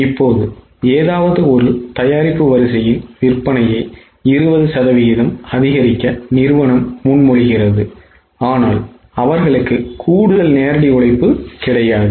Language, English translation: Tamil, Now, company proposes to increase the sale of any one product line by 20%, but they don't have extra direct labour